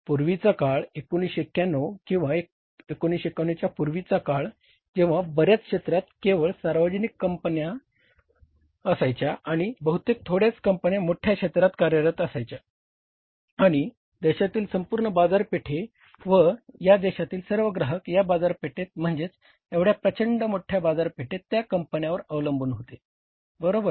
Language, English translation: Marathi, Earlier there was an era, till 1991 or before 1991 where in many sectors only public sector companies were there and maybe very few companies were operating in the larger sectors and means entire the market of the country, all consumers of the country or customers of the country in this market, in this huge market, they were dependent upon those companies